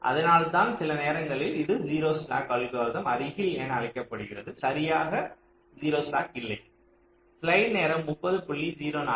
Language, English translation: Tamil, that's why it is sometimes called near to zero slack algorithm, not exactly zero slack